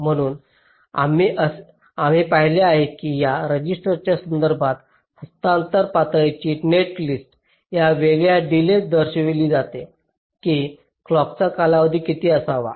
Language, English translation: Marathi, so we have seen that with respect to this register transfer level netlist, with these discrete delays are shown, what should be the time period of the clock